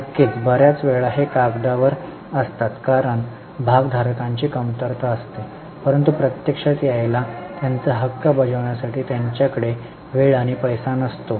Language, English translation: Marathi, Of course, many times these are on paper because lacks of shareholders are there but they don't have time and money to actually come and exercise their right